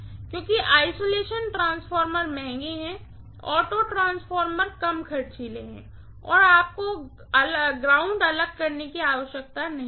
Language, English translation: Hindi, Because isolation transformers are costlier, auto transformers are less costly and you do not need to separate the earth